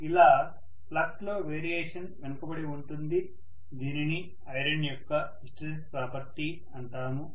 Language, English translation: Telugu, The variation in the flux is left behind which is known as the hysteresis property of the iron